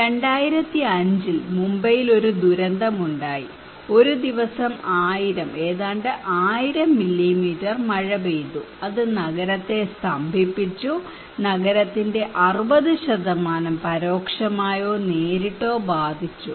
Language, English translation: Malayalam, In 2005 there was a catastrophic disaster in Mumbai, one day 1000 almost 1000 millimetre of rainfall and it paralyzed the city, 60% of the city were indirectly or directly affected okay